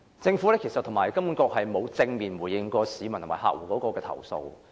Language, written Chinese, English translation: Cantonese, 政府和金管局並沒有正面回應市民及客戶的投訴。, Both the Government and HKMA have not directly responded to the complaints lodged by members of the public and bank customers